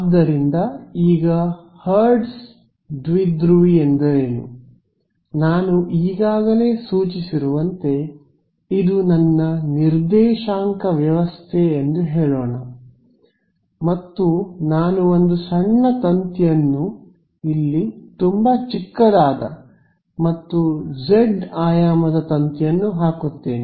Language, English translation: Kannada, So, now what is Hertz dipole, as I’ve already indicated let us say this is my coordinate system and I put one tiny is a wire over here very tiny and of dimension delta z